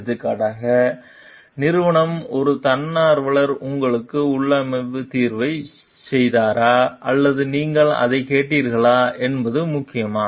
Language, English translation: Tamil, For example, does it matter whether company A volunteer did configuration solution to you or you ask for it